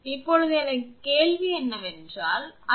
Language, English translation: Tamil, Now, my question is it has written 0